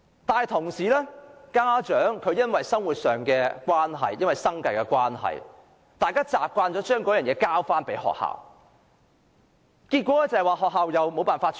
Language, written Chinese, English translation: Cantonese, 另一方面，家長因為生活迫人，已經習慣把問題交給學校處理，但學校又缺乏資源。, On the other hand as parents have to struggle to make ends meet they have habitually left all problems to schools but there is also a lack of resources in schools